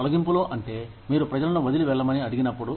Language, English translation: Telugu, Layoffs are, when you ask people, to leave